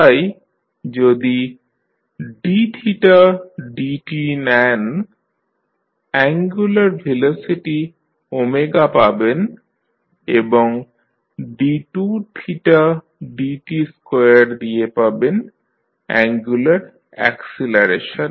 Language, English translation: Bengali, So, if you take d theta by dt, you will get angular velocity omega and d2 theta by dt2, you will get the angular acceleration